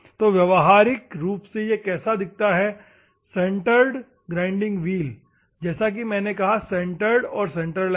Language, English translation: Hindi, So, practically how it looks likes , centered grinding wheel as I said centered and centreless